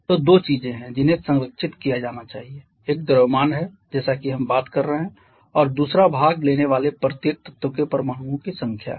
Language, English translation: Hindi, So, there are 2 things that has to be conserved one is the mass as we are talking about and secondly the number of atoms of each participating element